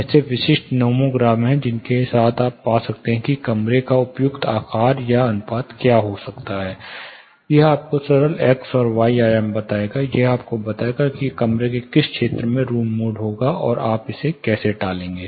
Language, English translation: Hindi, There are specific nomograms with which you can find, what is the appropriate size proportion of the room; simple ones x and y dimensions, it will tell you in which region the room mode would occur, and how do you avoid it